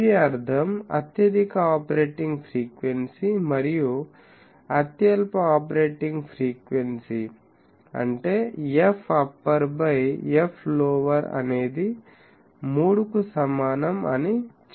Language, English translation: Telugu, This means that highest operating frequency and lowest operating frequency; that means, f upper by f lower is 3 Now, what is the concept